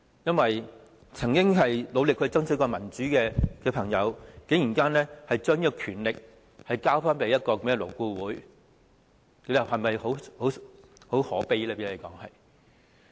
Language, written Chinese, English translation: Cantonese, 一些曾經努力爭取民主的朋友，竟然把權力交給勞顧會，這不是很可悲嗎？, Members who have once fought so hard for democracy had surrendered their power to LAB is this not very pathetic?